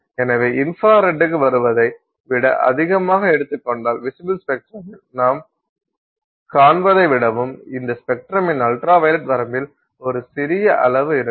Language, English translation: Tamil, So if you take the more than that is coming in the infrared more than what you see in the visible spectrum and there is a tiny amount sitting in the ultraviolet range of this spectrum